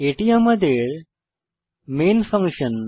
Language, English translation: Bengali, This is our main functions